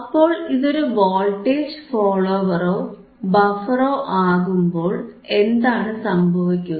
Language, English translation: Malayalam, So, when it is a voltage follower or buffer, what will happen